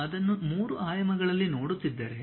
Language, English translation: Kannada, If you are looking that in 3 dimensions